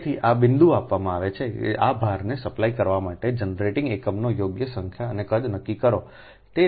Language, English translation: Gujarati, so this point is given: determine the proper number and size of generating units to supply this load